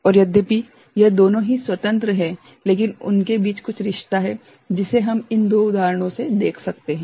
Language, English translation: Hindi, And though it looks a bit you know, independent kind of thing, but there is certain relationship between them, which we can see in this two examples ok